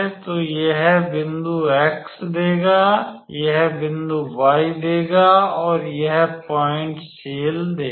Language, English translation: Hindi, So, all of this, so this will give the point x, this will give the point y and this will give the point cell